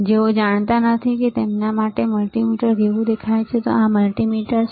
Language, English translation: Gujarati, For those who do not know how multimeter looks like for them, this is the multimeter